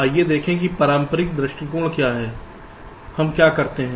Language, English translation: Hindi, ok, let us see what is the conventional approach, what we do